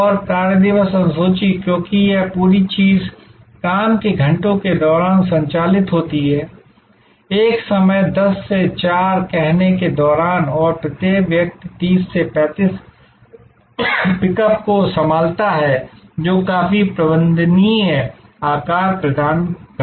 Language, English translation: Hindi, And the workday schedule, because this whole thing operates during the working hours, during this time of saying 10 to 4 and each person handles 30 to 35 pickups deliveries quite a manageable size